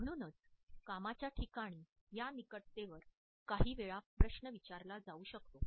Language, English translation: Marathi, Therefore, this proximity sometimes may be questioned in the workplace